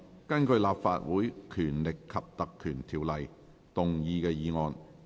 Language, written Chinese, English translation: Cantonese, 根據《立法會條例》動議的議案。, Motion under the Legislative Council Ordinance